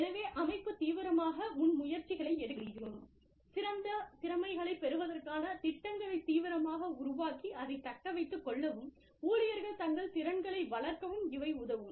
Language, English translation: Tamil, So, the organization, can actively take initiatives, can actively develop programs, to get the best talent, and retain it, and help the employees, develop their skills